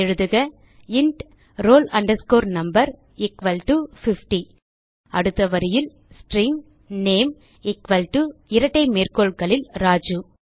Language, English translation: Tamil, So type,int roll no equal to 50 next line string name equal to within double quotes Raju